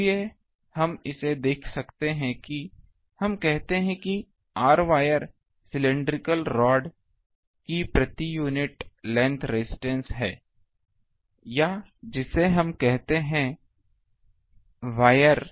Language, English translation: Hindi, So, that we can see so, let us say that r wire is the per unit length resistance of cylindrical rod, or wire whatever we call it